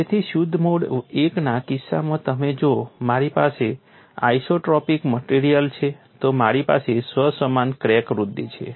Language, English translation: Gujarati, So, in the case of pure mode one and if I have an isotropic material, I have self similar crack growth